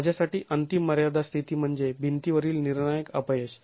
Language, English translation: Marathi, The ultimate limit state for me is the crushing failure of the wall